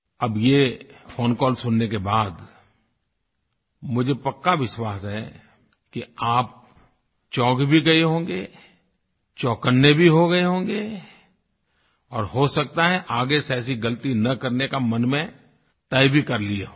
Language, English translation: Hindi, Now after listening to this phone call, I am certain that you would have been shocked and awakened and would probably have resolved not to repeat such a mistake